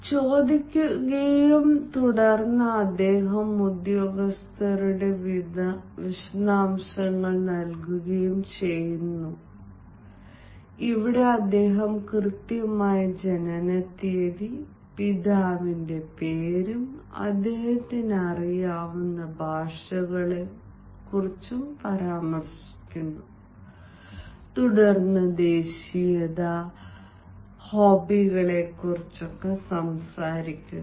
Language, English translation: Malayalam, and then he gives ah the personnel details, where he mentions the exact ah date of birth ah, his name of father and all and the languages that he knows, and then nationality, and then also talks about the hobbies